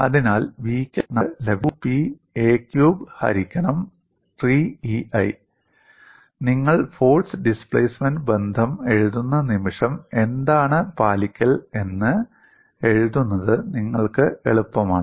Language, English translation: Malayalam, So, the displacement what we get as v equal to 2Pa cube by 3EI, the moment you write force displacement relationship, it is easier for you to write what is the compliance